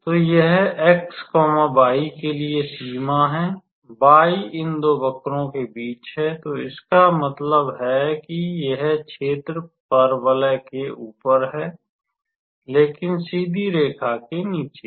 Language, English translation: Hindi, So, that is the range for x and for y, y is varying between these two curves; so that means, it is above this parabola but below the straight line